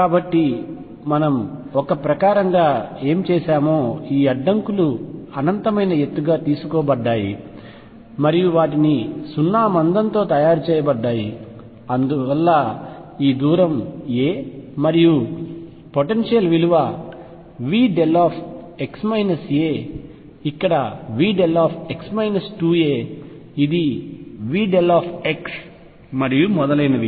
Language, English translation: Telugu, So, what we have done in a sense is taken these barriers to be of infinite height and made them of zero thickness and this distance is a and the potential is going to be given as delta x minus a here V delta x minus 2 a this is V delta x and so on